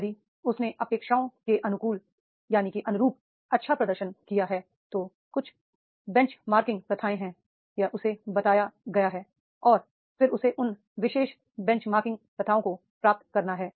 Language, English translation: Hindi, If he has performed well as per the expectations, there are certain benchmarking practices are there, it has been told to him and then he has to achieve those particular benchmarking practices